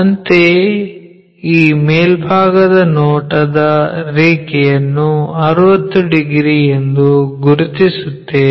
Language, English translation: Kannada, Similarly, let us locate this top view line 60 degrees, make 60 degrees line